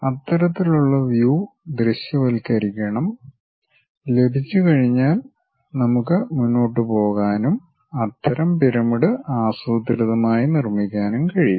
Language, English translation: Malayalam, Once we have that kind of view visualization we can go ahead and systematically construct such pyramid